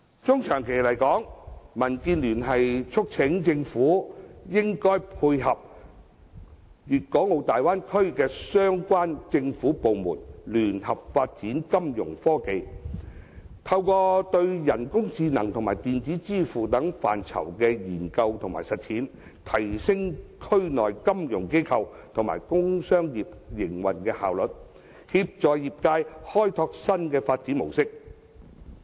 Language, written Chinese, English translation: Cantonese, 中長期而言，民建聯促請政府應與大灣區的對口政府部門合作，聯合發展金融科技，透過對人工智能和電子支付等範疇的研究和實踐，提升區內金融機構及工商業的營運效率，協助業界開拓新的發展模式。, In the medium to long run DAB urges the Government to join hands with its counterparts in the Bay Area in the development of Fintech so that through the studies and implementation of artificial intelligence and electronic payment methods the operation efficiency of the financial institutions and the commercial and industrial sectors will be enhanced and the sectors will also be encouraged to explore new development modes